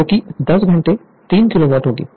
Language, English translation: Hindi, So, 10 hour, 3 kilowatt